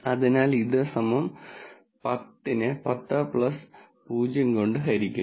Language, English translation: Malayalam, So, this is going to be equal to 10 divided by 10 plus 0